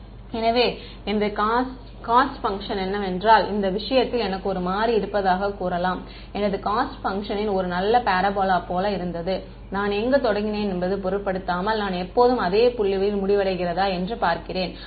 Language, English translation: Tamil, Multiple right; so, if I if my cost function let us say I have a variable in one this thing and if my cost function was a nice parabola, regardless of where I start I always end up with the same point